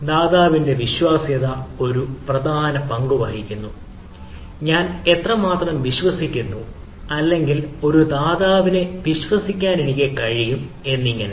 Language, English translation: Malayalam, there is one of the things: trustworthiness of the provider plays a important role, how much i ah trust, or i can be able to trust, a provider